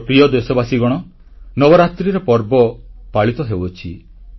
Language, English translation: Odia, My dear countrymen, Navratras are going on